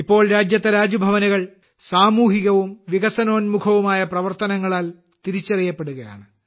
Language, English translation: Malayalam, Now Raj Bhavans in the country are being identified with social and development work